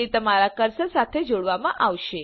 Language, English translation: Gujarati, It would be tied to your cursor